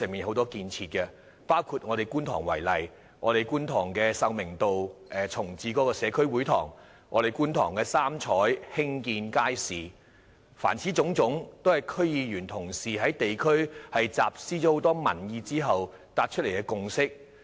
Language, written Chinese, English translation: Cantonese, 以我所屬的選區觀塘為例，這些建設包括在秀明道重置社區會堂，以及興建"三彩"街市，凡此種種都是區議員同事在地區廣集民意後達成的共識。, For example in my constituency Kwun Tong such development includes reprovisioning the community hall on Sau Ming Road and building a market for Choi Tak Estate Choi Fook Estate and Choi Ying Estate . All these are the consensus reached after comprehensive collection of public opinions by DC members in the district